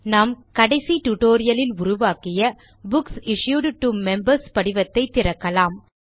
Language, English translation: Tamil, Let us open Books Issued to Members form that we created in the last tutorial